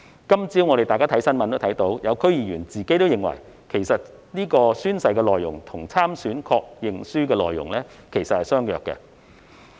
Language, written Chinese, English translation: Cantonese, 今早，我們從新聞看到，有些區議員也認為宣誓內容與參選確認書的內容相若。, We may have noted from the news report this morning that some DC members also agreed that the contents of the oath and that of the confirmation form for election are similar